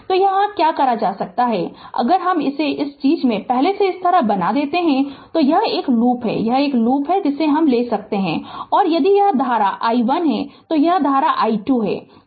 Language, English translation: Hindi, So, what you can do is you just ah if I if I make it like this before this thing, so this is this is one loop this is another loop you can take right and if this current is i 1 this current is i 2 right